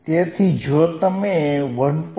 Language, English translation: Gujarati, If I go to 1